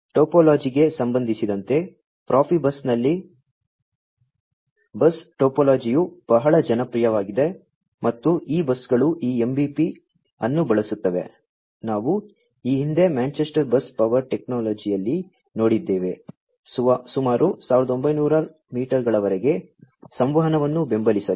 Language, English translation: Kannada, In terms of the topology, the bus topology is very popular in Profibus and these buses use this MBP, that we have seen earlier at Manchester Bus Power Technology, to support communication of, up to about 1900 meters